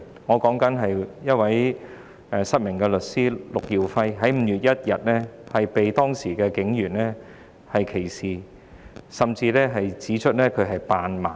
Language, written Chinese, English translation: Cantonese, 我所指的是失明律師陸耀輝，他在5月1日受到警員歧視，甚至被指扮盲。, I am referring to blind lawyer Joy LUK who was discriminated against and even accused of faking blindness by the Police on 1 May